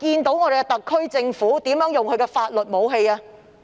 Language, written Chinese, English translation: Cantonese, 特區政府怎樣使用這種法律武器呢？, How will the SAR Government exploit this legal weapon?